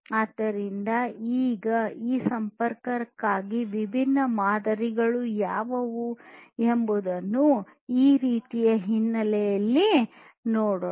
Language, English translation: Kannada, Now, let us look at in this kind of backdrop what are the different models for this connectivity